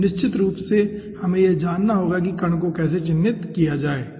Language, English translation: Hindi, so definitely we will need to know to characterize the particle